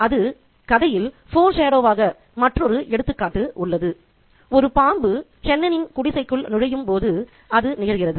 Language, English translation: Tamil, There is another example of foreshadowing in the story and it happens when a snake enters the hut of Chenon